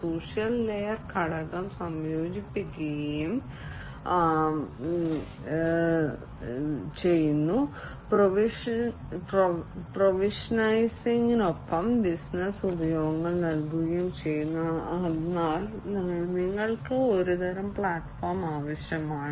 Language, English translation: Malayalam, So, social layer component is combined is integrated, with the provisioning, with the provision of business utilizations, but then you need some kind of a platform